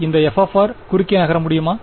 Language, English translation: Tamil, Can this f of r move across this L